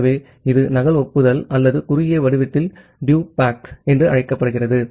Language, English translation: Tamil, So, this called a duplicate acknowledgement or in short form DUPACK